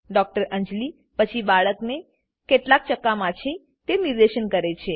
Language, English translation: Gujarati, Dr Anjali then points out that the baby has some rashes